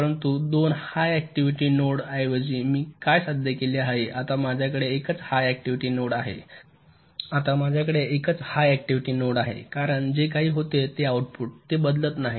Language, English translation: Marathi, instead of two high activity nodes, now i have a single high activity node because output, whatever it was, a, it remains same